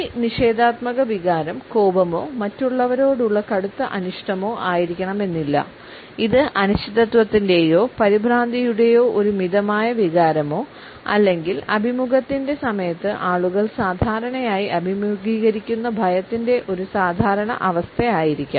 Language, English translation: Malayalam, The negative emotion may not necessarily be anger or a strong dislike towards other; it may also be a mild feeling of uncertainty or nervousness or a normal situation of apprehension and fear which people normally face at the time of interviews etcetera